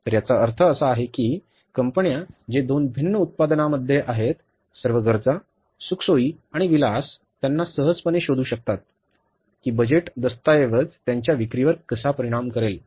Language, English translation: Marathi, So, it means the firms who are into different products, all necessities, comforts and luxuries, they can easily find out that how the budget document is going to impact their sales